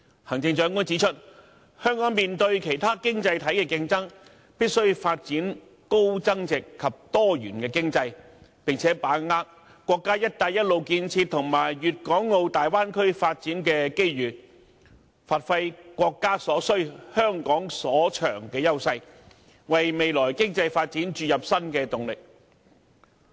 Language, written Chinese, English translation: Cantonese, 行政長官指出香港面對其他經濟體的競爭，必須發展高增值及多元經濟，並把握國家"一帶一路"建設和粵港澳大灣區發展的機遇，發揮"國家所需，香港所長"的優勢，為未來經濟發展注入新的動力。, According to the Chief Executive in the face of competition from other economies Hong Kong must develop a high value - added and diversified economy capitalize on the opportunities arising from the national Belt and Road Initiative and the Guangdong - Hong Kong - Macao Bay Area and leverage our edge under the what the country needs what Hong Kong is good at policy in order to generate new impetus for our future economic development